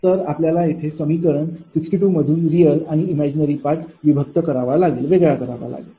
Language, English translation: Marathi, you separate real and imaginary part from equation sixty two